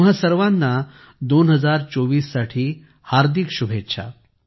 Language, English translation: Marathi, Best wishes to all of you for 2024